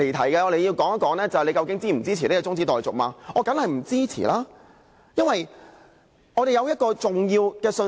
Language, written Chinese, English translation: Cantonese, 現在大家要說的是究竟是否支持中止待續，我當然是不支持，因為我們要表達重要的信息。, Now we have to say whether we support this adjournment motion . I will definitely not support the motion as I am keen to convey important messages through a debate